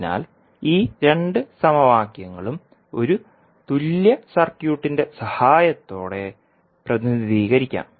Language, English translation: Malayalam, So, these two equations can be represented with the help of a equivalent circuit